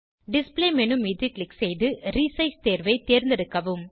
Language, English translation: Tamil, Click on Display menu and select Resize option